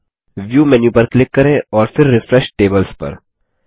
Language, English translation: Hindi, Next click on the View menu and then on Refresh Tables